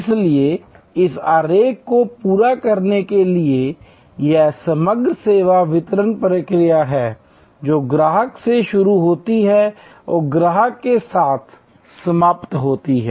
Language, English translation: Hindi, So, to complete this diagram therefore, this is the overall service delivery process which starts with customer and ends with the customer